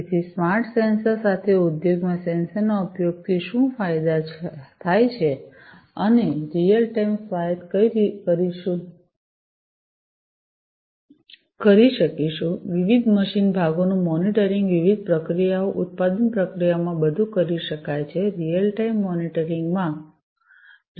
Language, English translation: Gujarati, So, what are the benefits of sensor usage in the industry with smart sensors we would be able to do real time autonomous, monitoring of different machine parts, different processes, manufacturing processes, everything can be done in real time monitoring, can be done in real time